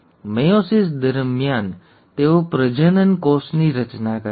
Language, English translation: Gujarati, During meiosis they form gametes